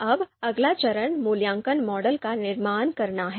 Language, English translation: Hindi, Now, next step is construct the evaluation model